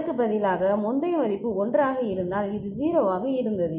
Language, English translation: Tamil, Instead, if previous value was 1 and then this was 0